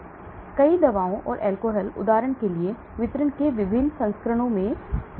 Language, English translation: Hindi, So many drugs and alcohols, for example also have different volumes of distribution